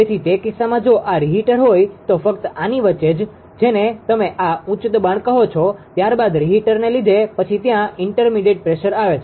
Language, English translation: Gujarati, So, in that case this is a reheater if reheater is there, only in between only in between your this ah what you call this high pressure, then in because of reheater then inter intermediate pressure is there